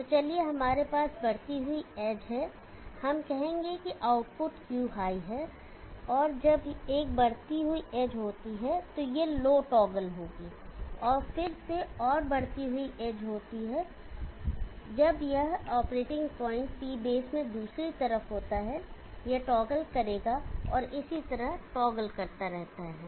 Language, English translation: Hindi, So let us have the rising edge we will, let us say the output Q is at high, and when there is a rising edge it will toggle low, and again and there is a rising edge when this operating point is in the other side of the P base it will toggle and so on keeps toggling like that